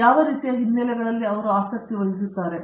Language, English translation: Kannada, What sort of backgrounds are they interested in